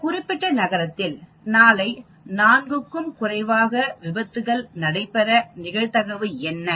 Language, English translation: Tamil, Say if tomorrow in that particular city, you have fewer than 4 accidents